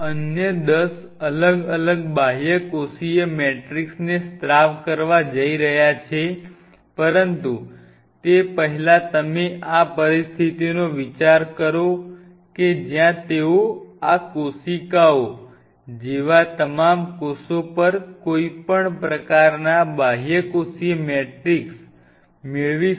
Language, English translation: Gujarati, another ten is going to secrete different extracellular matrix, but earlier to that, if you think of this situation where they could attain any kind of extracellular matrix, feet on the similar, all these cells similar to these cells